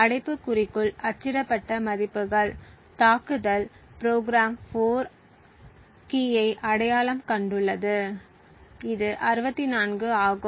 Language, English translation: Tamil, The values printed within the brackets are what the attack program has identified the 4th key which is 64 for instance